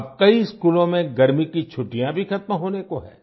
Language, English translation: Hindi, Now summer vacations are about to end in many schools